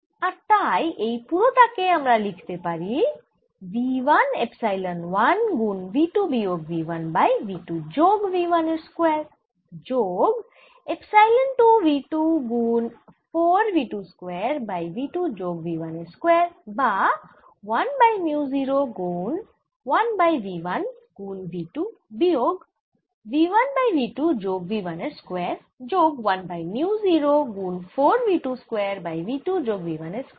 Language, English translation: Bengali, right hand side is v one epsilon one e reflected square plus v two epsilon two e transmitted square, which is equal to v one epsilon one epsilon one times v two minus v one square over v two plus v one square plus epsilon two v two times four